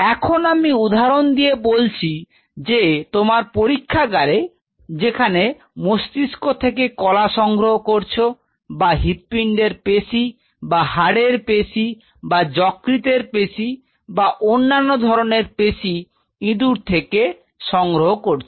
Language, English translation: Bengali, So, let us take an example say for example, your lab works on deriving tissues brain tissues or cardiac muscle or you know skeletal muscle or liver tissue or some other tissue from the rat or a mouse